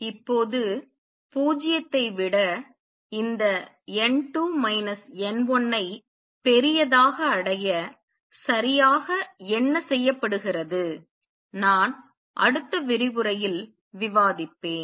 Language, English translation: Tamil, Now what exactly is done to achieve this n 2 minus n 1 greater than 0, I will discuss in the next lecture